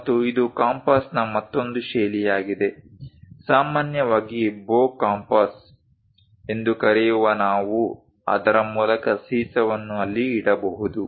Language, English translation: Kannada, And this is other style of compass, bow compass usually we call through which a lead can be kept there